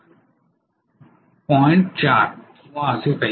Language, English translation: Marathi, 4 or something like that